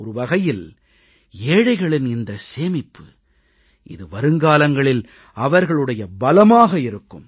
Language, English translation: Tamil, In a way, this is a saving for the poor, this is his empowerment for the future